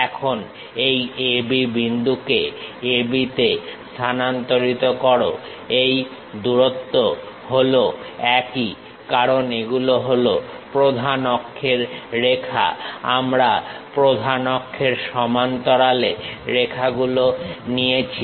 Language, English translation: Bengali, Now transfer this point A B to A B these lengths are one and the same, because these are the principal axis lines parallel to principal axis lines we are picking